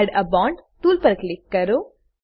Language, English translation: Gujarati, Click on Add a bond tool